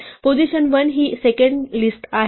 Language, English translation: Marathi, And the value position 1 is itself another list